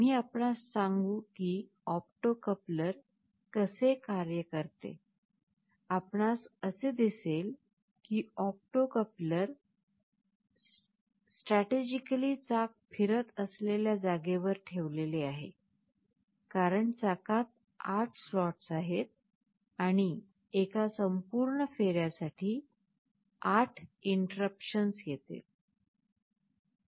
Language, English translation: Marathi, We shall tell you that how an opto coupler works, you see the opto coupler is strategically placed just in the place where the wheel is rotating, because there are 8 slots in the wheel, and for one complete revolution there will be 8 interruptions